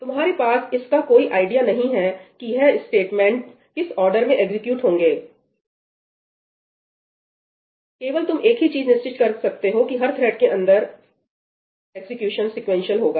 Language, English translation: Hindi, You have no idea about the order in which these statements get executed, the only thing you are sure about is that within each thread the execution takes place sequentially